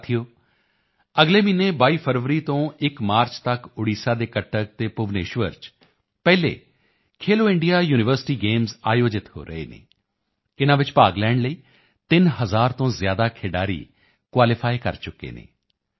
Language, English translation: Punjabi, Friends, next month, the first edition of 'Khelo India University Games' is being organized in Cuttack and Bhubaneswar, Odisha from 22nd February to 1st March